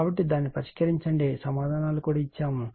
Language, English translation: Telugu, So, you solve it , answers are also given